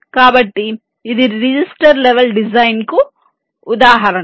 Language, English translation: Telugu, ok, so this is an example of a register level design